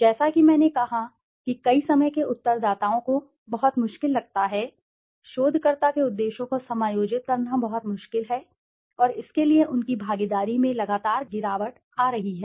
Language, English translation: Hindi, As I said many a time s respondents find it very difficult, very difficult to adjust to the researcher s motives and for this their participation has been declining steadily